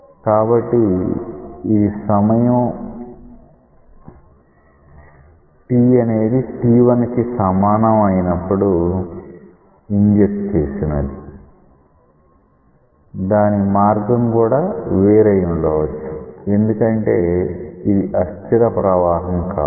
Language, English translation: Telugu, So, this is something which was injected at t equal to t1, the path may be different because it may be an unsteady flow